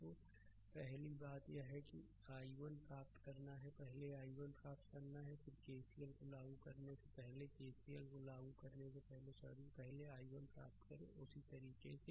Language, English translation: Hindi, So, first thing is that you have to obtain i 1 first you have to obtain i 1 and before sorry before applying KCL ah before applying KCL, first you ah obtain i 1 so, same philosophy same philosophy